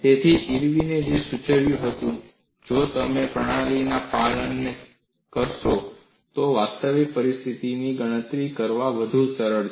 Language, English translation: Gujarati, So, what Irwin suggested was if you look at the compliance of the system, it is lot more easier to calculate in a realistic scenario